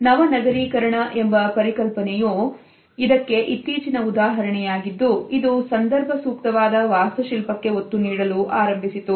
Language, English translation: Kannada, The latest example of it is the concept of new urbanism which has started to emphasis the context appropriate architecture